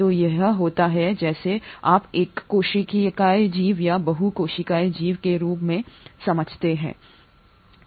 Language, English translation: Hindi, So this is what leads to what you understand as unicellular organism or a multicellular organism